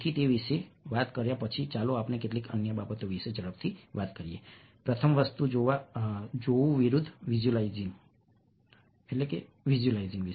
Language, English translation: Gujarati, so, having talked about that, let us quickly talk about few other things, the first being seeing versus visualizing